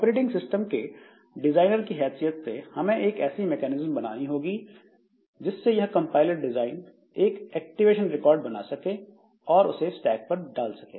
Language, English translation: Hindi, So, as an operating system designer, we have to provide a mechanism by which this compiler designer can create this activation record, put them onto stack, etc